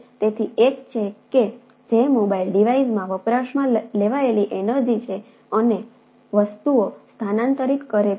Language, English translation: Gujarati, so one is the energy consumed in the mobile device and transferred the things